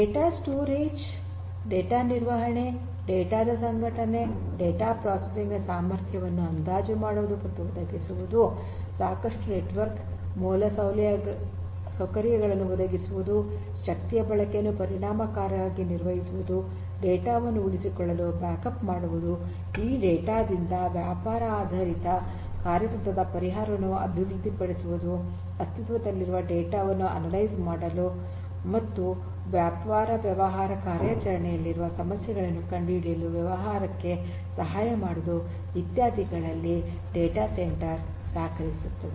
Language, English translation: Kannada, So, data centres are useful in all of these things that you see listed in front of you, storage management organisation of the data estimating and providing necessary processing capacity, providing sufficient network infrastructure, effectively managing energy consumption, repeating the data to keep the backup, developing business oriented strategic solutions from this kind of data the big data, helping the business personal to analyse the existing data and discovering problems in the business operations